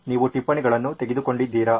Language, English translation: Kannada, Have you taken down the notes